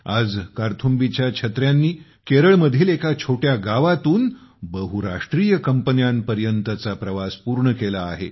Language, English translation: Marathi, Today Karthumbi umbrellas have completed their journey from a small village in Kerala to multinational companies